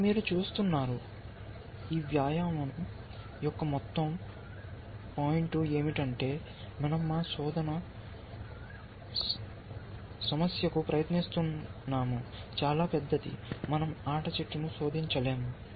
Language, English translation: Telugu, But you see, the whole point of this exercise, is that we are trying to our search problem is so huge, that we cannot search the game tree